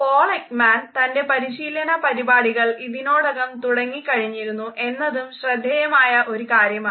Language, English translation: Malayalam, It is interesting to note that Paul Ekman had also started his training programmes